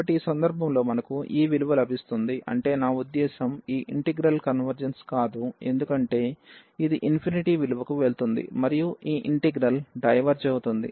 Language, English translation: Telugu, So, in this case we will we get this value I mean this integral does not converge because, this is converging to going to infinity the value and this integral diverges